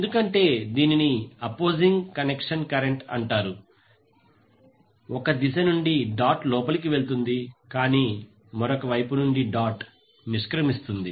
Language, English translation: Telugu, Because this is called opposing connection current is going inside the dot from one direction but exiting the dot from other side